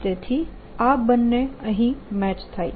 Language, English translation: Gujarati, so these two match